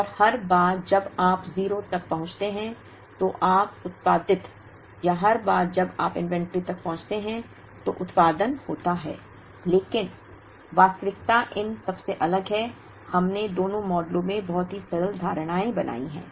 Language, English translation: Hindi, And every time you reach 0, you produced or every time you produce when you reach inventory, but reality is very different from these, we have made very simplistic assumptions in both the models